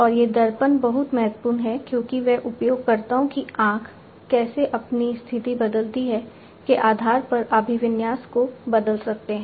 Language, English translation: Hindi, And these mirrors are very important because they can basically you know they can change the orientation based on how the users’ eye, how the users’ eye changes its position